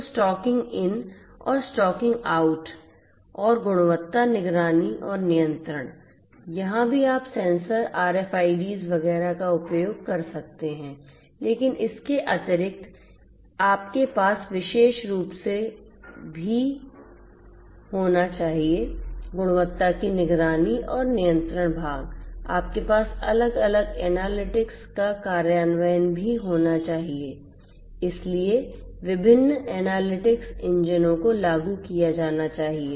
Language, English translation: Hindi, So, stocking in and stocking out and quality monitoring and control here also you could use the sensors RFIDs etcetera, but additionally you could you should also have particularly for the monitoring and control part of quality, you should also have the implementation of different analytics, so different analytics engines should be implemented